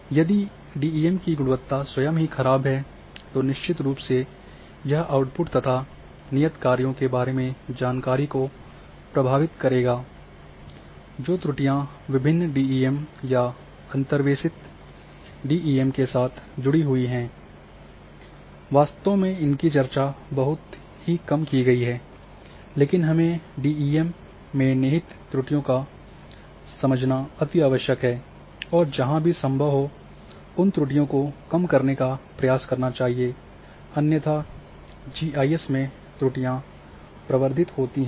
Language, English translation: Hindi, So, if the quality of DEM itself is poor then definitely these will this will affect the our output and knowledge about the assignments that a the errors which are associated with different DEMs even your own interpolated DEM then this is really very much ignored not much discussed, but we must, must understand the inherent errors in the DEM and wherever it is possible try to minimize those errors because otherwise errors will propagate in GIS